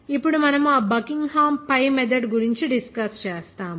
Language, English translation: Telugu, Now we will discuss about that Buckingham pi method